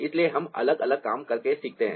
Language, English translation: Hindi, so we learn by doing different things